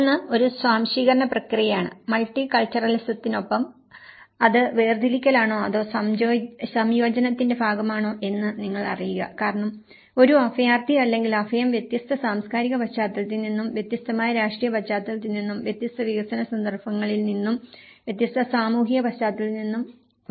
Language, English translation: Malayalam, One is an assimilation process and with the multiculturalism, you know, whether it is a segregation or an integration part of it because a refugee or an asylum who is coming from a different cultural context, different political context, different development context and different social context and he tried to get accommodation in a different context